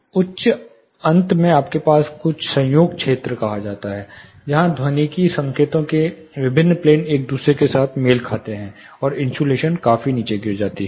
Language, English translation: Hindi, Again in the higher end you have something called coincidence region, where different planes of acoustic signals coincide with each other, and again the insulation property drastically drops down